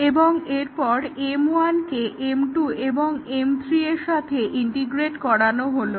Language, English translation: Bengali, So, first we integrate M 1 with M 2